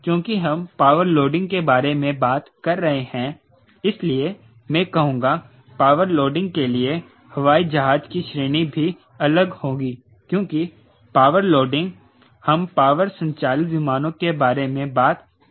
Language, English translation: Hindi, so i will say, for power loading, category of airplane also will be different, because power loading we will talking about propeller driven aircraft